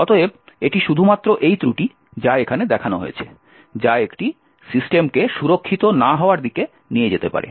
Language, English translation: Bengali, Therefore, it is only this particular flaw, which is shown over here that could lead to a system being not secure